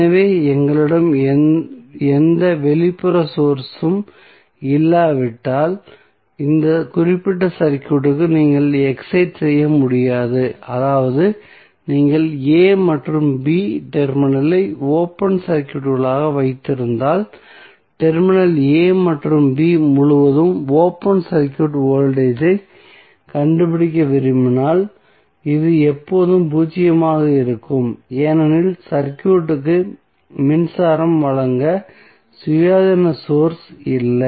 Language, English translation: Tamil, So, until unless we have any external source you cannot energies this particular circuit that means that if you are having the a and b terminal as open circuited and you want to find out the open circuit voltage across terminal a and b this will always be zero because there is no independent source to supply power to the circuit